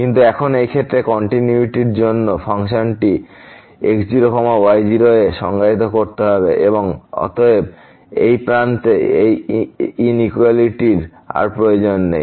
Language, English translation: Bengali, But, now in this case for the continuity the function has to be defined at naught naught and therefore, this inequality at this end is no more required